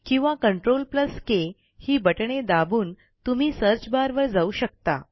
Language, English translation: Marathi, Alternately, you can press CTRL+K to directly go to the Search bar field